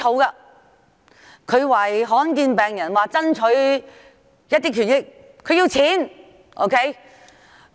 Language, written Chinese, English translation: Cantonese, 他要為罕見病患者爭取權益，希望得到撥款。, He wants to fight for the rights of patients with rare diseases and hopes to get funding